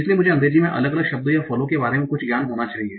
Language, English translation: Hindi, So I need to have some knowledge of what are the different words or roots in English